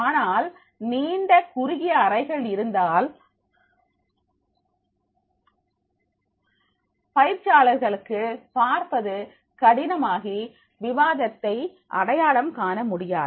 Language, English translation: Tamil, But if it is long and narrow rooms are there, it will be difficult for trainees to see here and identify with the discussion